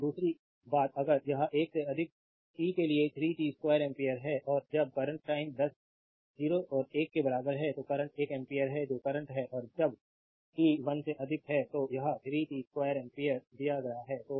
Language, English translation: Hindi, And second thing if it is 3 t square ampere for t greater than 1 and in when current time is in between 0 and 1, the current is one ampere that is current is constant and when for t greater than 1, it is 3 t square ampere say it is given